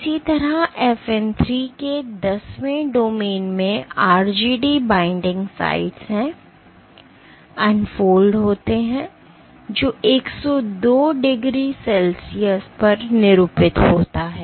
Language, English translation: Hindi, Similarly, tenth domain of FN 3 which contains the RGD binding sites, unfolds at, denatures at 102 degree Celsius